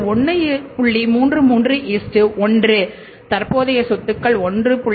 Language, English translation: Tamil, 33 minus current liabilities are 1